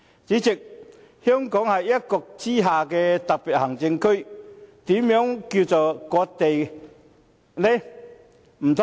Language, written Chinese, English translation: Cantonese, 主席，香港是一國之下的特別行政區，又何來割地呢？, President Hong Kong is a Special Administrative Region under one country so how can it cede Hong Kongs territory?